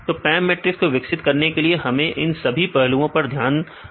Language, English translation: Hindi, So, all these aspects we need to consider when developing this PAM matrix right